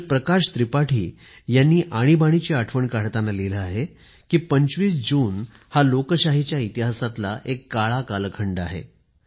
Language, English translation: Marathi, Shri Prakash Tripathi reminiscing about the Emergency, has written, presenting 25thof June as a Dark period in the history of Democracy